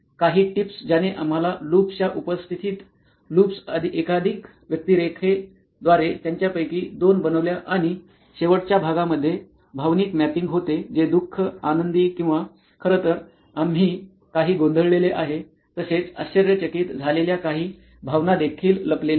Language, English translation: Marathi, Few tips that introduced to us the loops present of loops, multiple personas we did couple of them and of the last part was the emotional mapping which is sad, happy or in fact we have some confused as well as surprised were some emotions that are covered